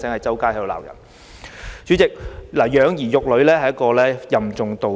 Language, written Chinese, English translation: Cantonese, 主席，養兒育女任重道遠。, President parenting involves heavy long - term responsibilities